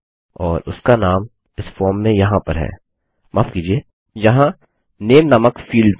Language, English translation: Hindi, And their name is contained within this form here sorry this field here called name